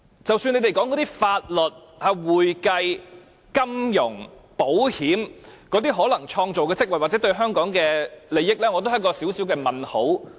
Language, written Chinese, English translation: Cantonese, 即使你們說，提供法律、會計、金融或保險等服務，可能會創造職位或利益，我也有一個小問號。, Though you may say the provision of legal accounting finance or insurance services may create jobs or economic benefits I still have a small doubt